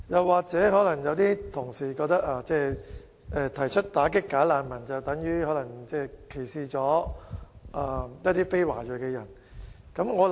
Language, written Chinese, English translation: Cantonese, 或者，有同事可能覺得提出打擊"假難民"是歧視非華裔人士。, Perhaps some Members think that anyone who proposes to combat bogus refugees is discriminatory against non - ethnic Chinese people